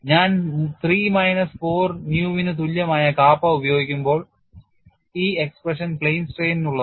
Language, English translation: Malayalam, When I use kappa equal to 3 minus 4 nu the expressions are for plane strain